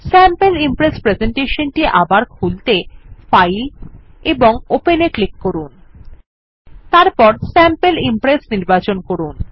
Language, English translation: Bengali, We will open the Sample Impress presentation again.click on File and Open and select Sample Impress